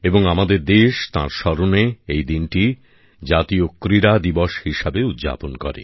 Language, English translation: Bengali, And our country celebrates it as National Sports Day, in commemoration